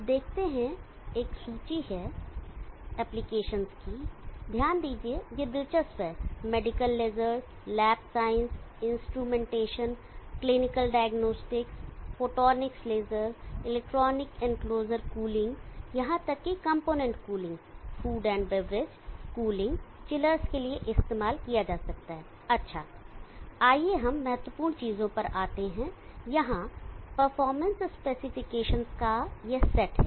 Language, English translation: Hindi, You see there is a lit if application interesting to note that can be used for medical lasers lab science instrumentation clinical diagnostics photonics laser electronic enclosure cool cooling even component cooling food and beverage cooling chillers any way